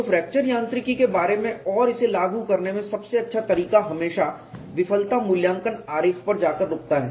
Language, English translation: Hindi, So, the best way to go about and apply fracture mechanics is always fall up on failure assessment diagram